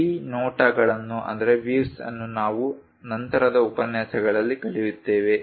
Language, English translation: Kannada, These views we will learn in the later lectures